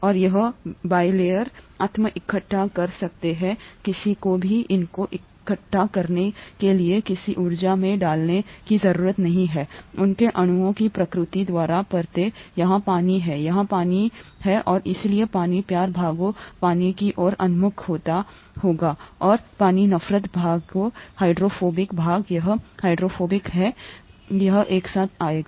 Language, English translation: Hindi, And this bilayer can self assemble, nobody needs to put in any energy to assemble these layers by the very nature of their molecules, here is water, here is water and therefore the water loving parts will orient towards water and the water hating parts, the hydrophobic parts, this is hydrophobic here, hydrophobic part will come together here